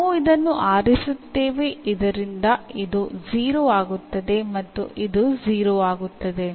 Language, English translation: Kannada, So, we will choose this so that this becomes 0 and this also becomes 0